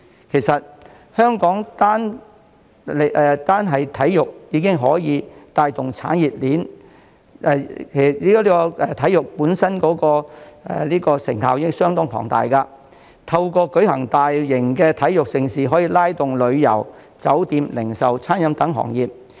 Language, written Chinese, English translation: Cantonese, 其實，香港單是體育帶動的產業鏈和體育本身的成效已相當龐大，透過舉辦大型體育盛事，可促進旅遊、酒店、零售及餐飲等行業。, In fact sports alone have given rise to a huge industry chain and exerted considerable influence in Hong Kong . Hosting major sports events can boost such industries as tourism hotel retail and catering